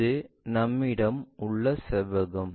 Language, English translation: Tamil, Maybe this is the rectangle what we have